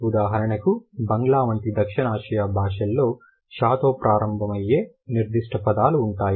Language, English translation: Telugu, For example, a South Asian language like Bangla would have certain words which would start with show